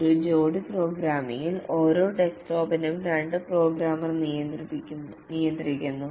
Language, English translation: Malayalam, In a pair programming, each desktop is manned by two programmers